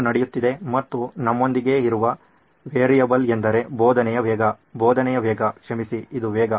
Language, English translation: Kannada, And the variable that we have with us is the pace of teaching, pace of teaching